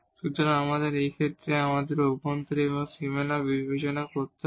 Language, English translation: Bengali, So, we have to now in this case we have to consider the interior and also the boundary